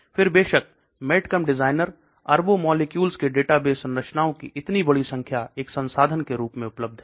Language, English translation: Hindi, Then of course MedChem designer, so large number of databases structures of billions of molecules are available as a resource